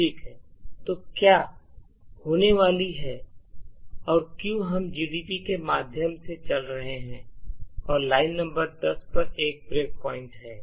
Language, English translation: Hindi, Ok, so what’s going to happen here is that since we are running through GDB and have a break point at line number 10